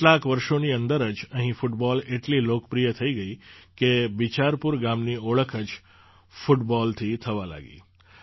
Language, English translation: Gujarati, Within a few years, football became so popular that Bicharpur village itself was identified with football